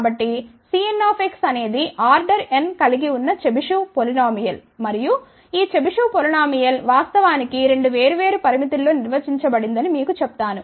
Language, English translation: Telugu, So, C n x is Chebyshev polynomial of order n and let me just tell you this Chebyshev polynomial actually is defined in two different limits